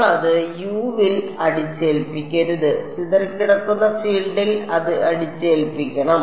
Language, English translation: Malayalam, We should not be imposing it on U we should be imposing it on scattered field right